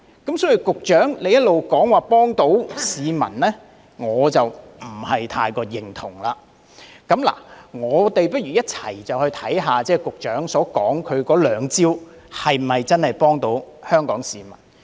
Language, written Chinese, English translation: Cantonese, 因此，對於局長一直指這些已可幫助市民，我不太認同，就讓我們一起看看局長所說的兩招是否真的可以幫助市民。, Hence I do not quite agree with the Secretarys repeated remarks that these measures can help the public . Let us see whether the two measures mentioned by the Secretary can really help the public